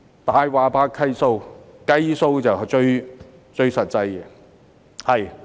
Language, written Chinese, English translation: Cantonese, "大話怕計數"，計數就最實際。, I believe Figures dont lie and calculation is the most practical thing to do